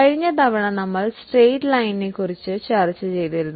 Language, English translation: Malayalam, Last time we had discussed straight line